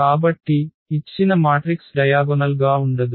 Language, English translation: Telugu, So, the given matrix is not diagonalizable